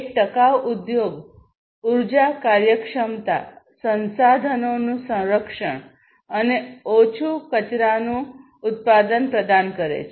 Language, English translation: Gujarati, So, a sustainable industry basically provides energy efficiency, conservation of resources, and low waste production